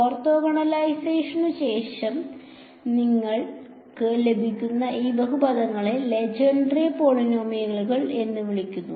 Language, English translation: Malayalam, These polynomials that you get after orthogonalization are called so called Legendre polynomials ok